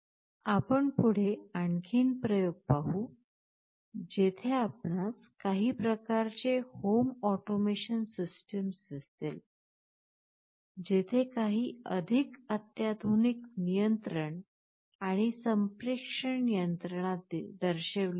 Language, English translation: Marathi, We would look at more experiments later on, where you will see some kind of home automation system, where some more sophisticated kind of control and communication mechanism will be shown